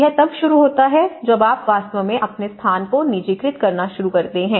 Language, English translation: Hindi, So, it starts with you, when you actually start personalizing your own spaces